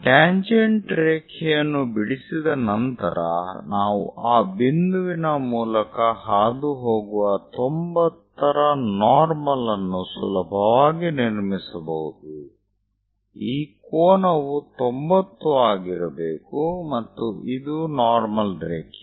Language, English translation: Kannada, Once tangent line is there, we can easily construct a 90 degrees normal passing through that point; this angle supposed to be 90 degrees and this one is a normal line, and this one is a tangent line